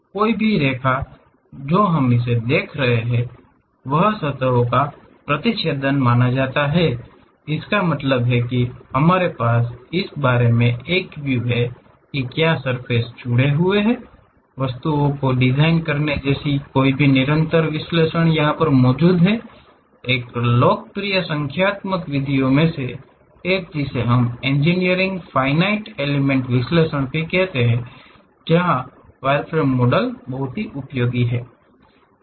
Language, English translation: Hindi, Any lines what we are seeing this supposed to be intersection of surfaces; that means, we have idea about what are the surfaces connected with each other; for any continuum analysis like designing the objects, one of the popular numerical method what we call in engineering finite element analysis